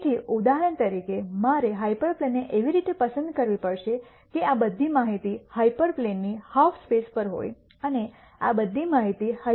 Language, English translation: Gujarati, So, for example, I have to choose a hyperplane in such a way that all of this data is to one half space of the hyperplane and all of this data is to the other half space of the hyperplane